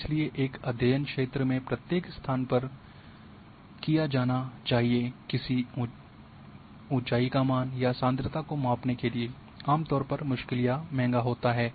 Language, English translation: Hindi, So, visiting every location in a study area to measure the height magnitude or concentration of a phenomenon is usually difficult or expensive